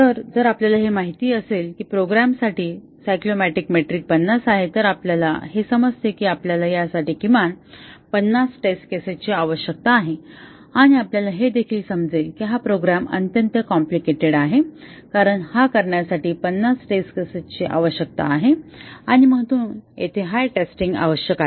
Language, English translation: Marathi, So, if we know that the cyclomatic metric for a program is 50 then we know that we need at least 50 test cases for this and also we know that this program is extremely complicated because requires 50 test cases and therefore, the testing effort required will be very high and also it will likely to have bugs even after testing with 50 test cases